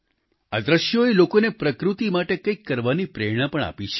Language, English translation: Gujarati, These images have also inspired people to do something for nature